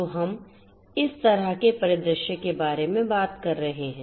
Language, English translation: Hindi, So, we are talking about this kind of scenario